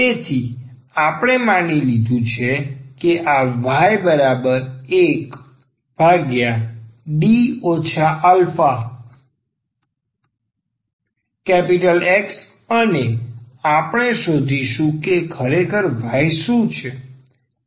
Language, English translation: Gujarati, So, we have assume that this 1 over D minus a is X and we will find out that what is actually y